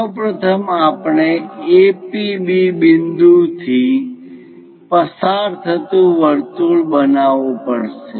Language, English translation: Gujarati, First of all, we have to construct a circle passing through A, P, B points